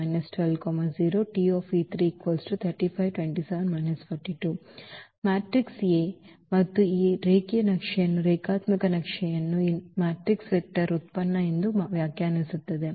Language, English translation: Kannada, So, we have this A here, the matrix A and that will define this linear map the given linear map as this matrix vector product